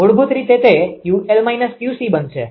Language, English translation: Gujarati, Basically, it will become Q l minus Q c